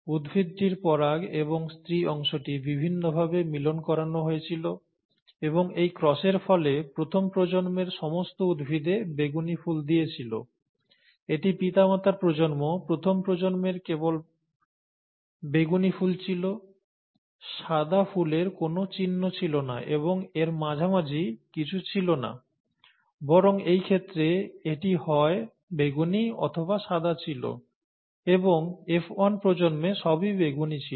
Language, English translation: Bengali, The pollen from and the female part of the plant were made to interact in different ways and this cross resulted in a purple flower in all the plants of the first generation; this is the parent generation; the first generation had only purple flowers, there was no sign of the white flower at all, and there was nothing in between; it was either purple, rather in this case, it was purple or white, and in the F1 generation, it was all purple